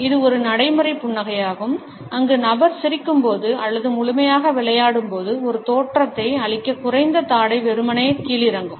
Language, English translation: Tamil, This is a practice smile where a lower jaw is simply dropdown to give a impression when the person is laughing or play full